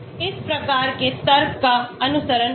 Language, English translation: Hindi, by following this type of logic here